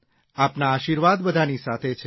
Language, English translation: Gujarati, Your blessings are with everyone